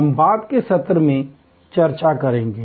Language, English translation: Hindi, We will discuss that at a subsequent session